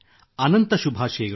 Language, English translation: Kannada, My very best wishes